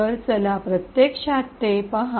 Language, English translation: Marathi, So, let us actually look at it